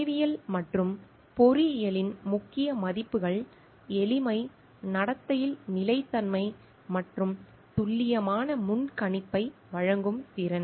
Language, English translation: Tamil, The key values in science and engineering are simplicity, consistency in behaviour and ability to yield accurate predictability